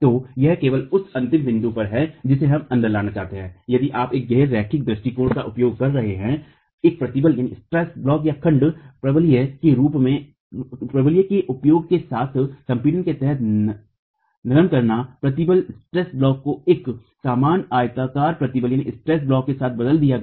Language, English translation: Hindi, So it's only at the ultimate that we would like to bring in if you are using a non linear approach, the softening under compression with the use of a stress block, parabolic stress block replaced with an equivalent rectangular stress block